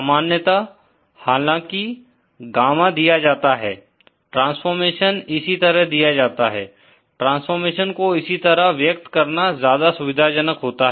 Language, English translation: Hindi, Usually even though Gamma is givenÉ The transformation is given like this, it is more convenient to express this transformation like this